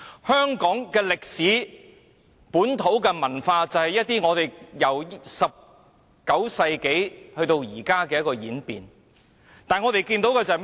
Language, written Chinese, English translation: Cantonese, 香港的歷史和本土文化，正是由19世紀演變至今，但我們今天看到甚麼呢？, The history and local culture of Hong Kong have evolved since the 19 century but what do we see today?